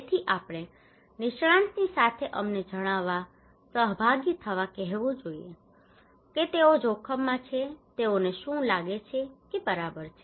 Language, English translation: Gujarati, So we should simply ask them to participate to tell us along with the expert that what are the risk they think they are vulnerable to okay